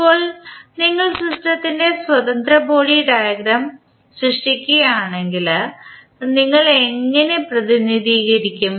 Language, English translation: Malayalam, Now, if you create the free body diagram of the system, how you will represent